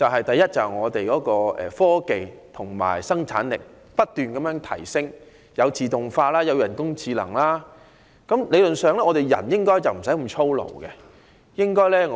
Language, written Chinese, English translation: Cantonese, 第一，我們的科技和生產力不斷提升，例如自動化和人工智能，人們理論上無須再過於操勞。, Firstly given the ever advancing technology and productivity such as automation and artificial intelligence theoretically people no longer need to engage in overly laborious tasks